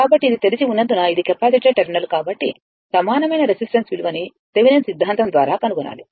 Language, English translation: Telugu, So, as this is open, as this is this is the capacitor terminal, we have to find out the equivalent resistance Thevenin team